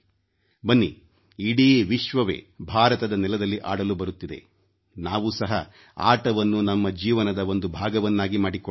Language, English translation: Kannada, Come on, the whole world is coming to play on Indian soil, let us make sports a part of our lives